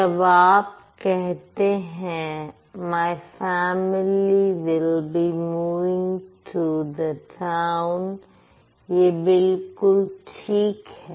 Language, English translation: Hindi, So, when you say my family will be moving to the town, absolutely no problem about it